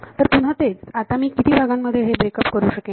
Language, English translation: Marathi, So, again this I can break up as how many parts